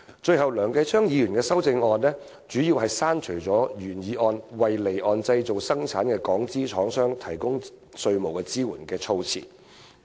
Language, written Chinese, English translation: Cantonese, 最後，梁繼昌議員的修正案主要刪除了原議案中"為離岸製造生產的港資廠商提供稅務支援"的措辭。, Lastly Mr Kenneth LEUNGs amendment mainly deletes the wording providing tax support for those offshore Hong Kong manufacturers engaging in manufacturing and production industries in the original motion